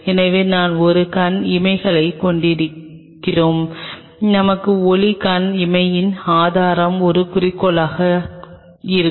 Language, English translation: Tamil, So, we will have an eyepiece we will have a source of light eyepiece give an objective